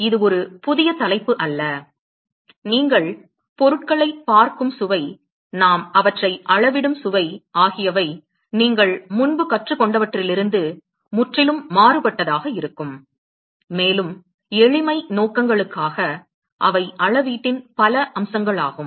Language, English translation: Tamil, So, it is not a new topic except that the flavour in which you would see things, the flavour in which we would quantify them will be completely different from what you would have learned earlier, and for simplicity purposes they are several aspects of quantification which we will cover them in this class